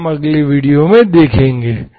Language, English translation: Hindi, That we will see in the next video